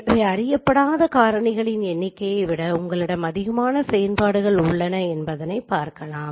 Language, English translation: Tamil, So the as you understand that you have more number of equations than the number of unknowns